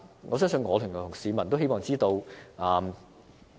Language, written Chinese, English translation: Cantonese, 我相信我及市民也會希望知道。, The public and I would want to know the answer